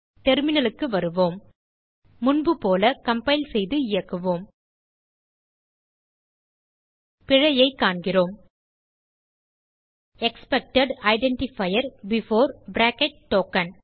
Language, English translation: Tamil, Come back to the terminal Compile and execute as before We see the error: Expected identifier before ( token